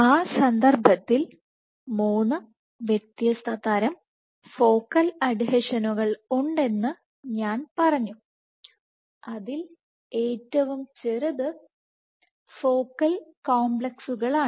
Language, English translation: Malayalam, In that context we had said I had said that there are 3 different types of Focal Adhesions the smallest being Focal Complexes